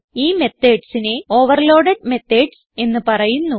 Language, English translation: Malayalam, These methods are called overloaded methods